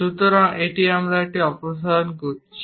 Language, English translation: Bengali, So, we are removing this